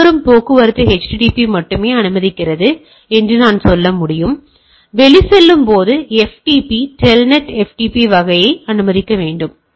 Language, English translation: Tamil, Like, I can say that incoming traffic only http is allowed, where as outgoing I can allow we allow telnet ftp type of things